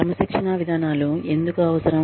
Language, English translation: Telugu, Disciplinary procedures are necessary